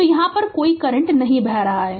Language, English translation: Hindi, So, this current is leaving